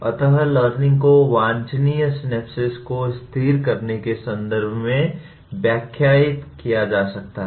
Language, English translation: Hindi, So learning can be interpreted in terms of stabilizing the desirable synapses